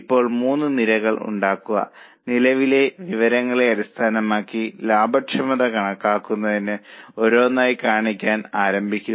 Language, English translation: Malayalam, Now make the three columns and one by one start showing the calculating the profitability based on the current data